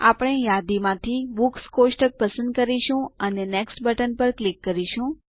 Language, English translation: Gujarati, We will choose the Books table from the list and click on the Next button